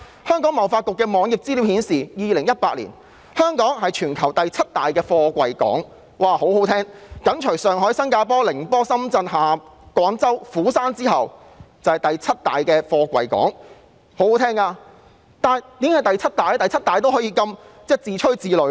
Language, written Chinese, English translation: Cantonese, 香港貿易發展局網頁的資料顯示，香港在2018年是全球第七大貨櫃港，享負盛名，香港緊隨上海、新加坡、寧波、深圳、廣州、釜山之後，成為第七大貨櫃港，為何僅居第七仍可以自吹自擂呢？, According to the information on the web page of the Hong Kong Trade Development Council in 2018 Hong Kong was renowned for being the seventh largest container port in the world preceded by Shanghai Singapore Ningbo Shenzhen Guangzhou and Busan . Why could Hong Kong still blow its own trumpet for just being the seventh largest port?